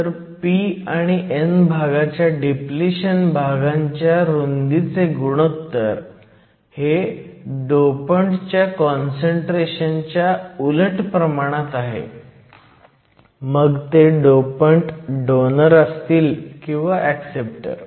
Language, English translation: Marathi, So, the ratio of depletion region widths on the p and n side is inversely proportional to the concentration of the dopants whether they are the donors or acceptors